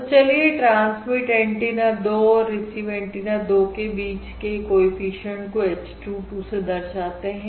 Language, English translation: Hindi, And let us denote the coefficient between transmit antenna 2 and receive antenna 2 by h 2: 2